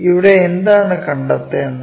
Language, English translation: Malayalam, What is to be found